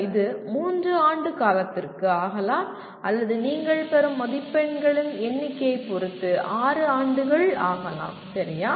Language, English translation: Tamil, It could be 3 years or it could be 6 years depending on the number of marks that you get, okay